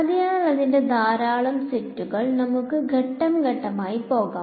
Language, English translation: Malayalam, So, its lot of sets let us go step by step ok